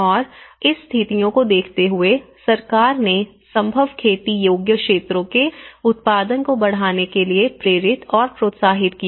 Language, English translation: Hindi, And considering this conditions, the government has motivated to and encouraged to enhance the production of the feasible cultivated areas